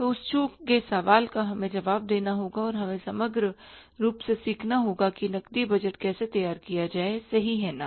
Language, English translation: Hindi, So that misquestion we have to answer and we have to learn in overall how to prepare the cash budget